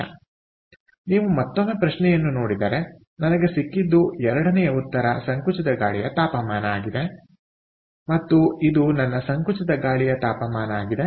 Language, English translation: Kannada, so if you look at the question once again, what i have got is the second answer, compressed air temperature